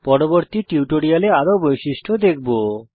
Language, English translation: Bengali, We shall look at more features, in subsequent tutorials